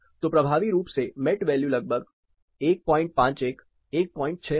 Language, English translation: Hindi, So, effectively the Met value will be around 1